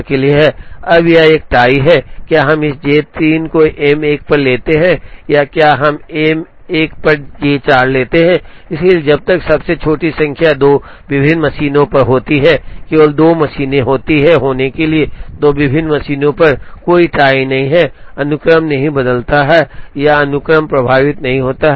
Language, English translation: Hindi, Now here there is a tie whether, we take this J 3 on M 1 or whether we take J 4 on M 1, so as long as the smallest number happens to be on 2 different machines, there are only 2 machines, happen to be on 2 different machines, there is no tie, the sequence does not change or the sequence is not affected